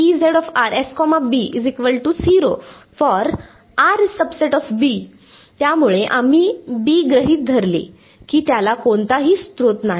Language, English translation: Marathi, So, we assumed B has no source